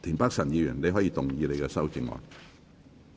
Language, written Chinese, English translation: Cantonese, 田北辰議員，你可以動議你的修正案。, Mr Michael TIEN you may move your amendment